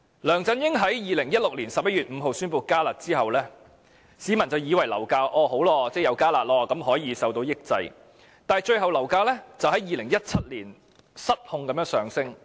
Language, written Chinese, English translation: Cantonese, 梁振英在2016年11月5日宣布"加辣"後，市民便以為樓價會因"加辣"而受到抑制，但最終樓價在2017年失控地上升。, After LEUNG Chun - ying had announced the enhanced curb measure on 5 November 2016 members of the public thought that property prices would be suppressed by the enhancement but eventually property prices soared out of control in 2017